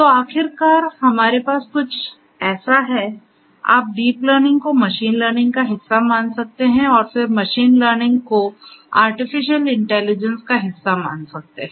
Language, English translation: Hindi, So, finally, what we have is something like this, you can think of deep learning to be part of machine learning and machine learning again part of artificial intelligence